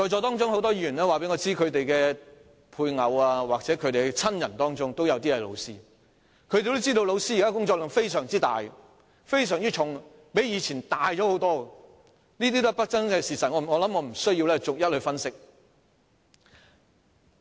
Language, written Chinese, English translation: Cantonese, 在席很多議員告訴我，他們的配偶或親人任職教師，因此也知道現時教師的工作量非常大和沉重，較過去大很多，這些都是不爭的事實，我想我無須逐一分析。, Many Members here have told me that their spouses or relatives are teachers so they also know that now teachers have a huge and heavy workload which is much greater than before . These are irrefutable facts . I think I need not analyse them one by one